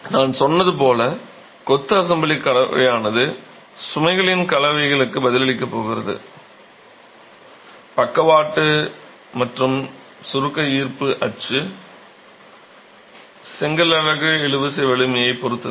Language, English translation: Tamil, As I said, the way in which the masonry assembly, composite, is going to respond to a combination of loads lateral and compressive gravity axial will depend on the tensile strength of the brick unit